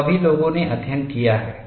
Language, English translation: Hindi, That is also people have studied